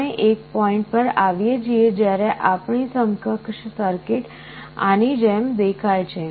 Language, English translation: Gujarati, So, we come to a point when our equivalent circuit looks like this